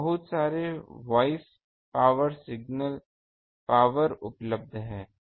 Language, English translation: Hindi, So, there are plenty of voice power ah signal power available